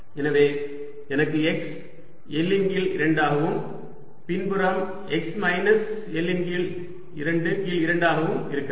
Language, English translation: Tamil, so i have x equals l by two and backside is x equals minus l by two and by two